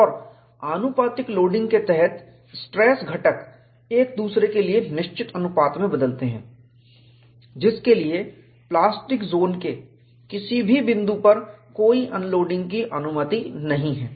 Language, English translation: Hindi, And under proportional loading, stress components change in fixed proportion to one another, for which no unloading is permitted at any point of the plastic zone